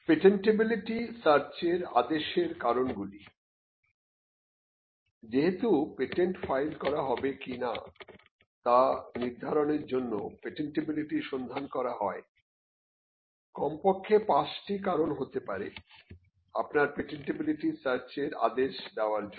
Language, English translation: Bengali, Since a patentability search is undertaken to determine whether to file a patent or not, there could be at least 5 reasons why you should order a patentability search